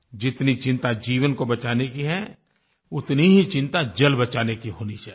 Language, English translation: Hindi, We are so concerned about saving lives; we should be equally concerned about saving water